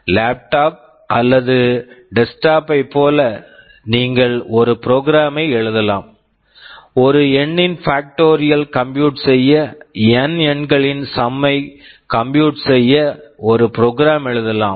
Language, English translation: Tamil, Like a laptop or a desktop you can write a program, well you can write a program to compute the factorial of a number, to find the sum of n numbers etc